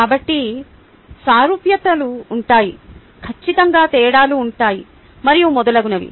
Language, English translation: Telugu, there'll certainly be differences in so on, so forth